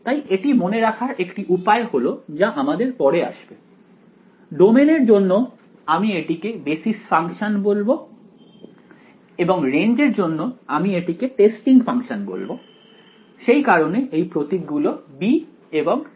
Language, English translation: Bengali, So, the way to remember it is sort of what will come later on, for the domain I am going to call this basis functions and for the range I am going to call this testing functions that is why letters b and t ok